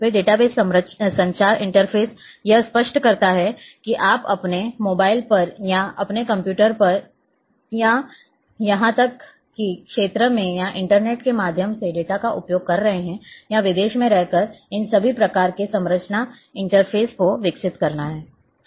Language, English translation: Hindi, Then database communication interfaces clear on whether you are accessing the data on your mobile or on your computer or even in the field or through internet or staying abroad all kinds of these accesses communication interfaces have to be developed